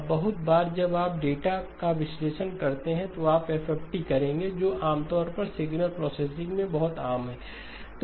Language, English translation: Hindi, Now very often when you do data analysis, you will do FFTs, that is usually very common in signal processing